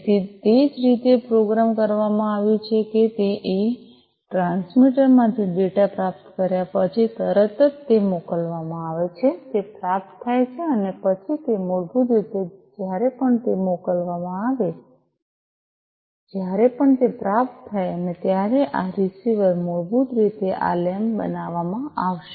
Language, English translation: Gujarati, So, the way it has been programmed is that the immediately after receiving the data from the transmitter it is once it is sent it is received and then it is basically, you know, whenever it is sent whenever it is received this receiver, basically will make this lamp the led lamp glow right and as you can see that it is glowing